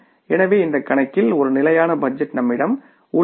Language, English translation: Tamil, So, in this case we have for example if it is a static budget